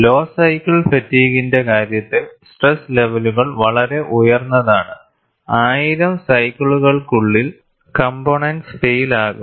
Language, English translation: Malayalam, In the case of low cycle fatigue, the stress levels are very high, and within 1000 cycles the component may fail